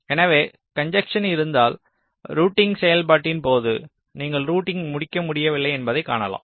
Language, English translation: Tamil, so if there is a congestion, it is quite likely that during the process of routing you will find that you are not able to complete the routing at all